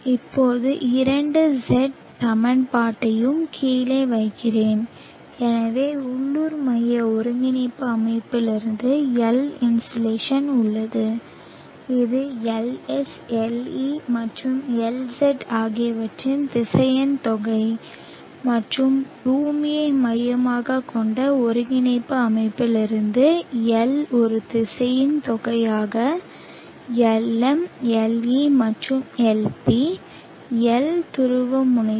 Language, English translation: Tamil, Now let me put down the two sets of equation, so from the local centric coordinate system we have the insulation L which is a vectorial sum of LS, LE and LZ and from the earth centric coordinate system we have L has a vectorial sum of Lm, Le and Lp L polar